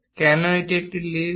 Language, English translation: Bengali, Why it is ellipse